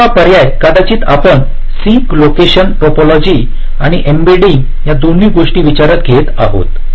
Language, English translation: Marathi, second alternative: maybe we consider the sink locations, topology and embedding